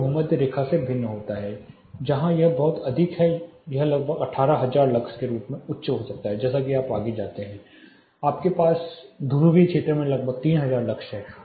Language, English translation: Hindi, It varies from equator it is very high it can be around as high as 18000 lux as you go further you have around 3000 lux in your polar region